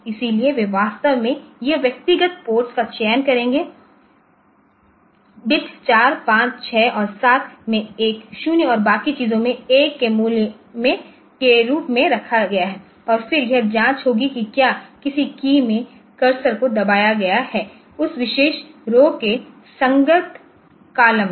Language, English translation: Hindi, So, they will be actually selecting individual ports this bit 4, 5, 6 and 7 put a 0 there and rest of the rest of the things as 1 and then it will be checking whether the cursor in any key has been pressed in the in the corresponding columns of that particular room